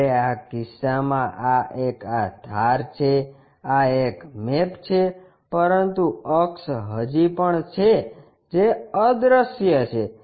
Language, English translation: Gujarati, Whereas in this case in this case edge this one, this one maps, but axis still there which is invisible